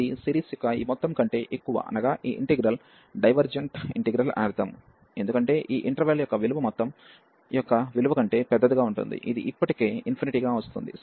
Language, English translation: Telugu, This is greater than this sum of the series, which is infinity, so that means this integral is a divergent integral, because the value of this interval will b larger than the value of the sum, which is coming already to infinity